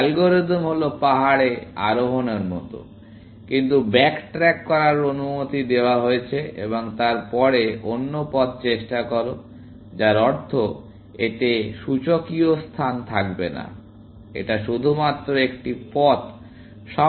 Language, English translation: Bengali, The algorithm is like hill climbing, but allowed to back track, essentially, and then, try another path; which means, it will not have exponential space; it will have only one path always in the main way